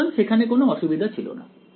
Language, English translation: Bengali, So, there was no problem